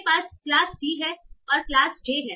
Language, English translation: Hindi, So I have class C, I have class J